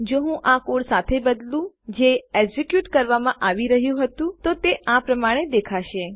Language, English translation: Gujarati, If I was to replace this with a code, which was being executed, it would look like that So, we wouldnt do that, Okay